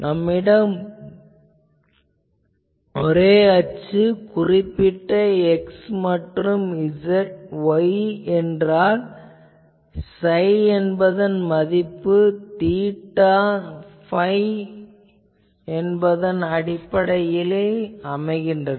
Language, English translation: Tamil, But, if I have the array axis as a particular x and y, then I know that what is the value of this psi in terms of theta phi